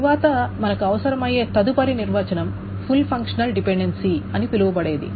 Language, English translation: Telugu, Then the next definition that we will require is something called a full functional dependency